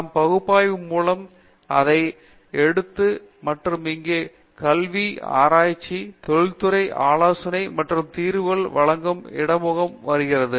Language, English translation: Tamil, We take it up further by way of analysis and here comes the interface of academic research, industrial consulting and providing solutions